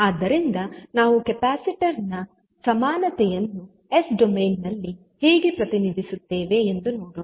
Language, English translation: Kannada, So, let us see how we will represent the equivalents of capacitor in s domain